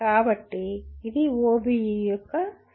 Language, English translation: Telugu, So this is the essence of OBE